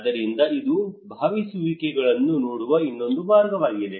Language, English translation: Kannada, So this is another way of looking into the participations